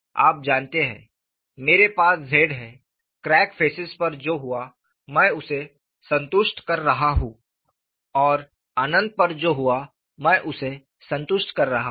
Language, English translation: Hindi, You know, I am having Z, I am satisfying what happens at the crack phasess,; and I am satisfying what happens at the infinity